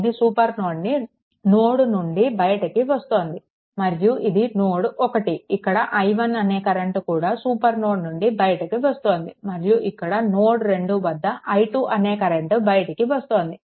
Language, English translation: Telugu, And this 10 ampere current actually it is leaving the supernode and this is node 1, say this is also current leaving the supernode, say i 1 and this is the currents at node 2, this is the i 2, right